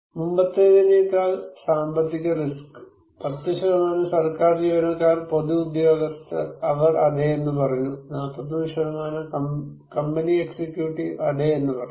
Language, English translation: Malayalam, Economic risk than before 10% government employees public officials, they said yes, 41 % of company executive said yes